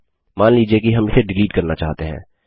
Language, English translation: Hindi, Say we want to delete it